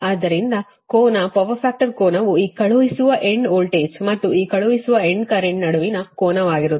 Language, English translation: Kannada, so angle, the power factor angle will be angle between this sending end voltage and this sending end current